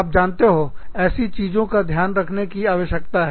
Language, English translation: Hindi, So, you know, these things, needs to be taken into account